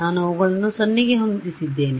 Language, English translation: Kannada, I have set them to 0